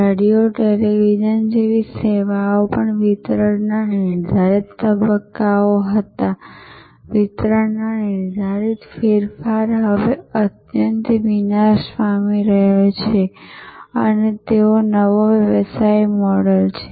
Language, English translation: Gujarati, Even services like radios, television, were there were defined delivery stages, defined delivery change are now getting highly destructed and new business model